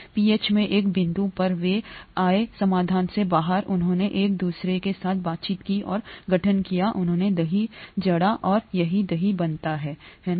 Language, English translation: Hindi, At one point in in pH, they came out of solution, they interacted with each other and formed, they curdled and that’s how curd gets formed, right